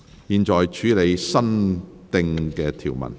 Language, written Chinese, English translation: Cantonese, 現在處理新訂條文。, I now deal with new clauses